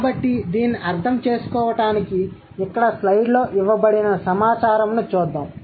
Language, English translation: Telugu, So, for to understand this, let's look at the data given on the slide here